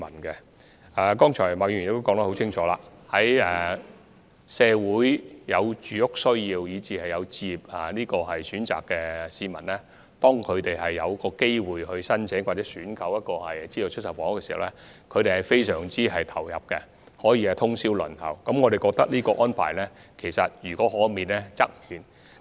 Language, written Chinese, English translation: Cantonese, 正如麥議員剛才所說，社會上有住屋需要以至置業需求的市民在遇上申請或選購資助出售房屋的機會時，往往會非常投入，甚至不惜通宵輪候申請，但我們認為這種情況應可免則免。, As Ms MAK has mentioned just now members of the public who have housing needs or even aspiration for home ownership tend to put their heart and soul into the matter when an opportunity to apply for or purchase a SSF arises and they can go so far as to queue up overnight to file their application . However we consider that this should be avoided as far as possible